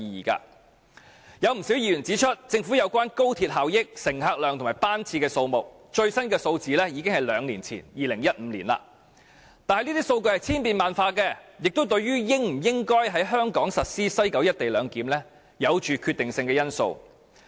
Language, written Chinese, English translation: Cantonese, 不少議員指出，政府所提供有關高鐵效益、乘客量和班次的數據，最新的數字已經是兩年前，即2015年的了，但這些數據是千變萬化的，亦是對香港應否在西九實施"一地兩檢"具決定性的因素。, As pointed out by many Members the latest figures provided by the Government in relation to the benefits patronage and number of trips of XRL were already two years old ie . 2015 but such data can change constantly and it is also a decisive factor in determining whether Hong Kong should implement the co - location arrangement in West Kowloon